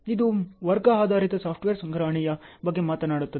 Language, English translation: Kannada, This talks about the class oriented software procurement